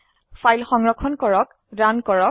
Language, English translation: Assamese, Save and Runthe file